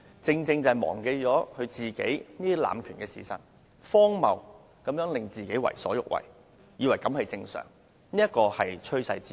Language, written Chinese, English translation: Cantonese, 正因他忘了自己濫權的事實，便為所欲為，視荒謬行徑為正常，這是趨勢之一。, He does whatever things he likes and even takes weird deeds as normal precisely because he is forgetful of the fact of his abuse of power . This is one of the trend which I have noticed